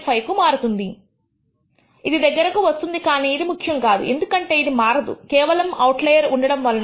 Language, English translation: Telugu, 5, it comes closer that is not what is important, but it does not change much just because of the presence of the outlier